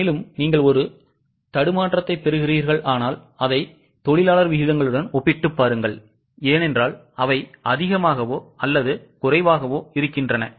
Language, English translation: Tamil, Now, if you are getting sort of boggle down, just compare it with the labor rates because there are more or less same